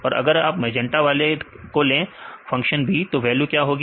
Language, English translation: Hindi, And if you take the magenta one; function B; so, what will be the value